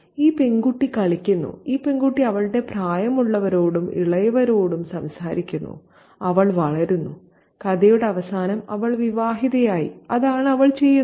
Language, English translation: Malayalam, This girl chatters with her companions, older and younger, and she grows up and she is married at the end of the story